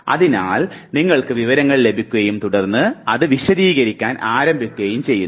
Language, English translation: Malayalam, So, you receive the information and then you start elaborating it